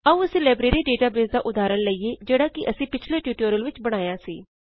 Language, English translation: Punjabi, Let us consider the Library database example that we created in the previous tutorials